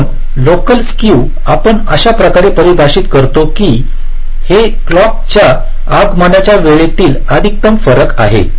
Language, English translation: Marathi, so local skew we define like this: this is the maximum difference in the clock, clock arrival time